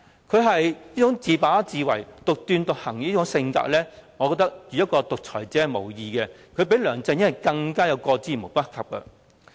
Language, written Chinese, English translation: Cantonese, 她這種自把自為，獨斷獨行的性格，我認為與獨裁者無異，而與梁振英相比，她更是過之而無不及。, I think such presumptuous and autocratic behaviour makes her no different from a dictator . When compared with LEUNG Chun - ying she is even worse